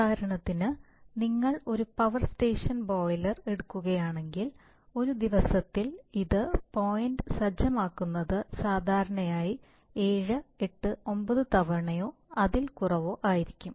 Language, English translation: Malayalam, For example if you take a power station boiler, then it set point over a day will typically be changed 7, 8, 9 times maybe less